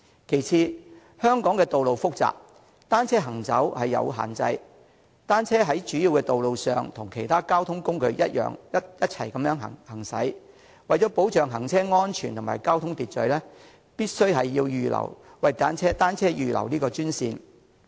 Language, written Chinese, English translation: Cantonese, 其次，香港的道路複雜，單車行走有限制，若單車在主要道路上與其他交通工具一同行駛，為了保障行車安全和交通秩序，必須為單車預留專線。, It will certainly add to the burden on the existing heavy road traffic . Secondly given the complexity of the roads in Hong Kong travelling by bicycle is subject to restrictions . If bicycles travel on the major roads at the same time with other modes of transport it is necessary to set aside dedicated lanes for bicycles to ensure road safety and maintain the order of traffic